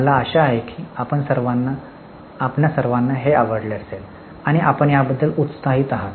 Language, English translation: Marathi, I hope you all liked it and you are excited about it